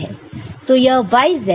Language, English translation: Hindi, So, this is your x this is your y and this is your z